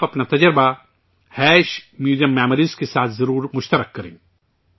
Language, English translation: Urdu, Do share your experience with MuseumMemories